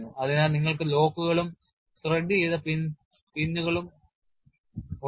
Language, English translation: Malayalam, So, you have locks as well as threaded pins that serve the purpose